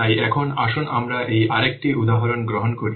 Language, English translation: Bengali, So now let's take this one more example